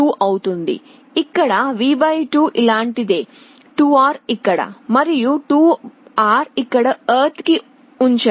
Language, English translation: Telugu, It will become something like this: V / 2 here, 2R here, and 2R here to ground